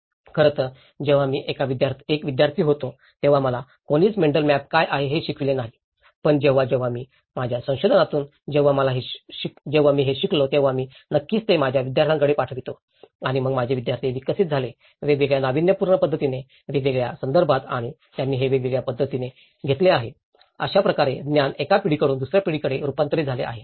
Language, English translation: Marathi, So that in fact, when I was a student no one have taught me about what is a mental map but then when in my research, when I learnt it then I obviously, tend to pass it on to my students and then my students have developed in a different innovative manner, in different contexts and they have taken it in a different way so, this is how the knowledge have transformed from one generation to the other generation